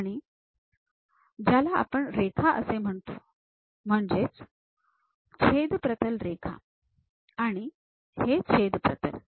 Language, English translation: Marathi, And this one what we call line, cut plane line and this one is called cut plane